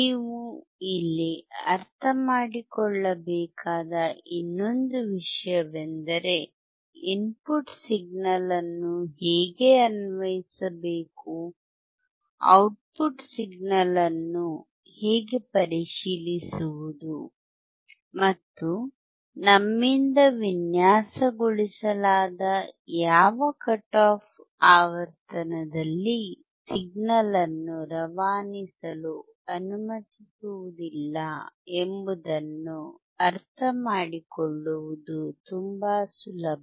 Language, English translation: Kannada, Another thing that you have to understand here is that it is very easy to understand how to apply the input signal; how to check the output signal; and at what cut off frequency designed by us the signal will not allowed to be passed